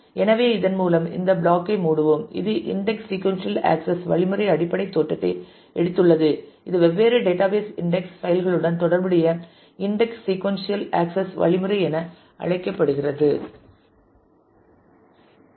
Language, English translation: Tamil, So, with this we will close this module we have taken the basic look at the index sequential access mechanism this is called index sequential access mechanism associated with different database index files